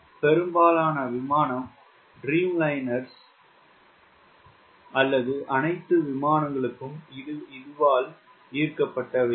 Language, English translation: Tamil, most of airplane dreamliner or all those, they are inspired by this